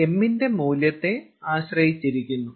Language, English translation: Malayalam, it depend on the value of m